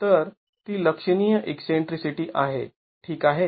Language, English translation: Marathi, So, it is significant eccentricity